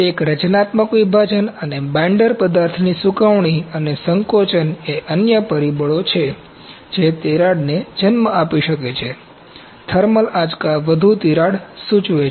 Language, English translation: Gujarati, A compositional segregation and drying and shrinking of binder material are other factors that may give rise to cracking, to thermal shocks implies more cracking this is one of the defects